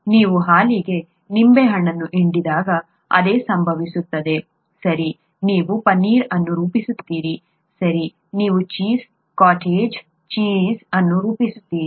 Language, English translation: Kannada, same thing happens when you squeeze a lemon into milk, okay you form paneer, right, you form cheese, cottage cheese